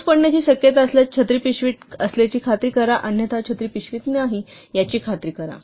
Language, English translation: Marathi, If it is likely to rain ensure the umbrella is in the bag, else ensure the umbrella is not in the bag